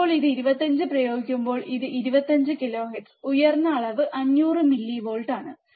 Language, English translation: Malayalam, Now this when you apply this 25 kilohertz, the high level is 500 millivolts